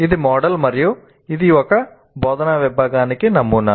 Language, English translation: Telugu, This is the model and this is the model for one instructional unit